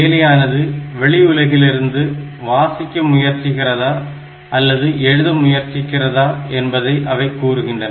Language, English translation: Tamil, So, this will tell whether the processor is trying to read from the outside world or it is trying to write to the outside world